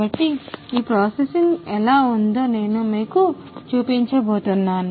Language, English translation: Telugu, So, I am going to show you how this processing is done